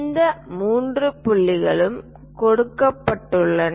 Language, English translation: Tamil, These three points are given